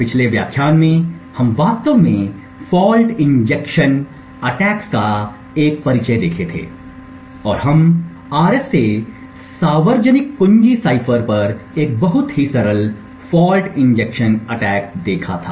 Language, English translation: Hindi, In the previous lecture we had actually looked at an introduction to fault injection attacks and we had seen a very simple fault injection attack on the RSA public key cipher